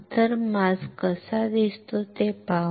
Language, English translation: Marathi, So, let us see how the mask looks like